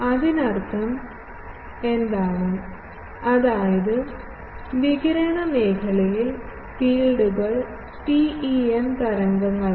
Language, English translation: Malayalam, What is the meaning; that means, in the radiation zone the fields are TEM waves